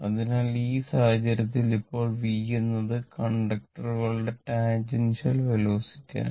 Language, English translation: Malayalam, So, just hold on, so in this case, now v is the tangential velocity of the conductor, right